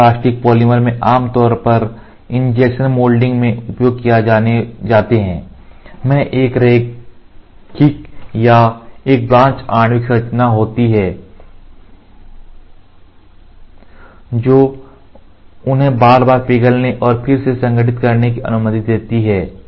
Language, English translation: Hindi, Thermoplastic polymers that are typically injections molded have a linear or a branched molecular structure, that allows them to melts and resolidify repeatedly